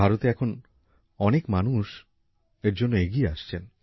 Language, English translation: Bengali, In India too, people are now coming forward for this